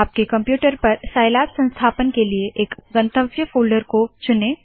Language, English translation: Hindi, Select a destination folder to install scilab on your computer